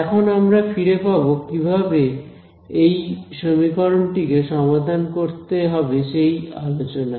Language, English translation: Bengali, Now, we will go back to how we are decided we will solve this equation